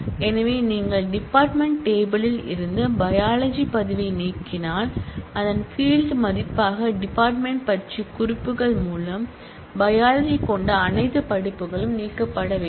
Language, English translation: Tamil, So, if you delete the biology entry from the department table, then all courses which have biology through references to department as their field value should also get deleted